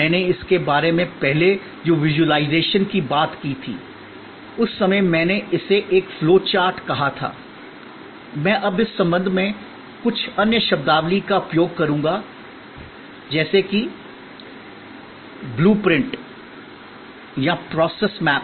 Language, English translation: Hindi, The visualization I talked about it earlier, at that time I called it a flow chart, I will now use some other terminologies in this connection like terminology blue print or process map